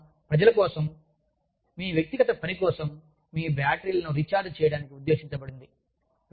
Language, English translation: Telugu, The weekend is meant for people, for your personal work, for recharging your batteries